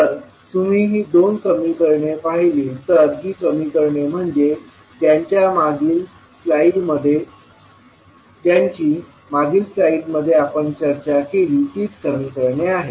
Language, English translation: Marathi, So, if you see these two equations these equations are nothing but the equations which we discussed in our previous slide